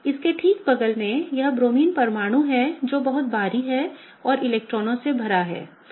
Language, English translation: Hindi, Right next to it is this Bromine atom which is very bulky and full of electrons